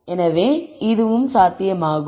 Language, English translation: Tamil, So, this is also possible